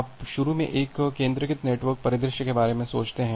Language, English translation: Hindi, So, you just initially think of a centralized network scenario